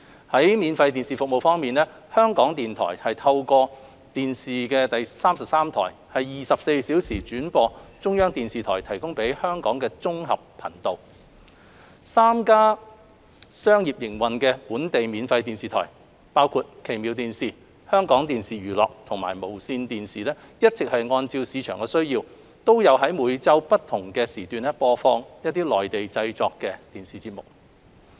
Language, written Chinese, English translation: Cantonese, 在免費電視服務方面，香港電台透過電視33台24小時轉播中國中央電視台提供給香港的綜合頻道 ；3 家商業營運的本地免費電視台，包括奇妙電視、香港電視娛樂及無綫電視，一直按市場需要，在每周不同時段播放內地製作的電視節目。, On free TV services Radio Television Hong Kong RTHK provides 24 - hour relay of China Central Television Channel 1 CCTV - 1 to Hong Kong through RTHK TV 33 . Three commercial domestic free TV broadcasters namely Fantastic Television Limited HK Television Entertainment Company Limited and Television Broadcasts Limited have been providing Mainland - produced TV programmes in different time slots every week according to market needs